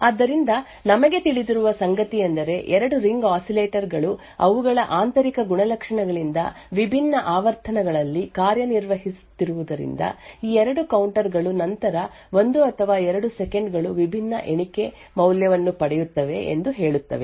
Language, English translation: Kannada, So therefore, what we know is that since the 2 ring oscillators are operating at different frequencies due their intrinsic properties, these 2 counters would after a period of time say like 1 or 2 seconds would obtain a different count value